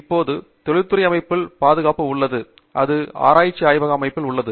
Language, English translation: Tamil, Now, safety is there in industrial setting; it is also there in research lab setting